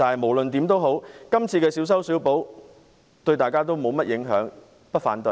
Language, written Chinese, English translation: Cantonese, 無論如何，今次的小修小補對大家沒有甚麼影響，所以我不會反對。, No matter how the trivial and piecemeal amendments proposed this time will not have much impact and hence I have no objection to these amendments